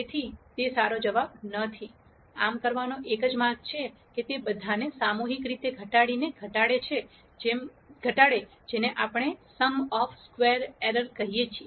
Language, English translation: Gujarati, So, that is not a good answer at all, one way to do this is to collectively minimize all of them by minimizing what we call as the sum of squares errors